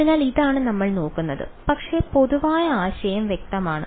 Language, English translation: Malayalam, So, this is what we will look at, but is the general idea clear